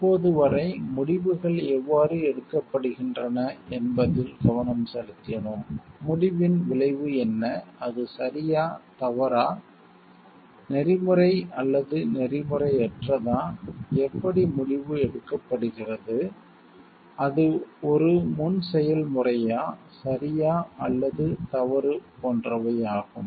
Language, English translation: Tamil, Till now we have discussed about the how decisions are made, and what is the outcome of the decision and whether it is like right or wrong ethical unethical, how the decision is made whether it is as a preprocess whether it is right or wrong